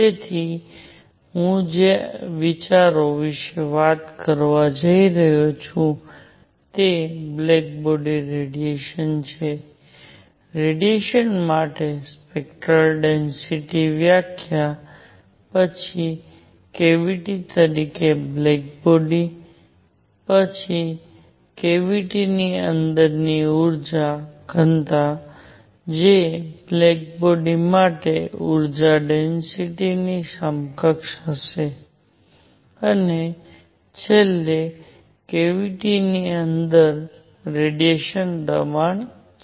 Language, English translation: Gujarati, So, what the ideas that I am going to talk about is black body radiation, spectral density for radiation, then black body as a cavity, then energy density inside a cavity which would be equivalent to energy density for a black body, and finally radiation pressure inside a cavity